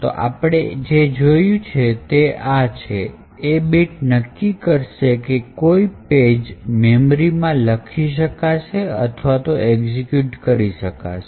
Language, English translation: Gujarati, So, what we have seen is that, this bit would ensure that a particular page in memory is either executable or is writeable